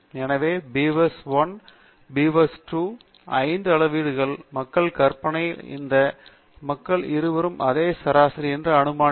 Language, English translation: Tamil, So, I am imagining that there is a population of readings for beaver1, and population of readings for beaver2, and I am assuming that both these populations have same averages